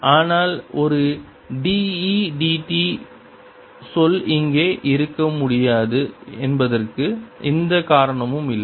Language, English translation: Tamil, but there is no reason why a d, e, d t term cannot be here